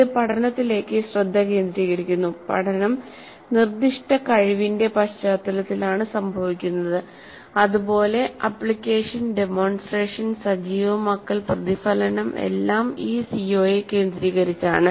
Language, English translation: Malayalam, This brings focus to the learning and the learning occurs in the context of a very specific competency and the application and the demonstration and the activation and the reflection all center around this CO